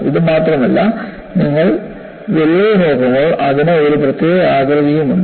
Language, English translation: Malayalam, Not only this, when you look at the crack, it also has a particular shape